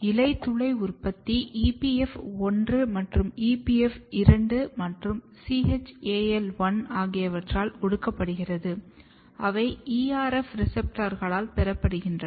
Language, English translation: Tamil, So, in the stomata production is repressed by EPF1 and EPF2 and CHAL1, they are received by ERF receptors